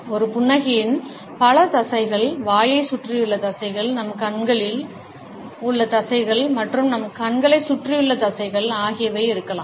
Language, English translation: Tamil, A smile may involve several muscles, muscles which are around the mouth, muscles on our cheeks, and muscles around our eyes also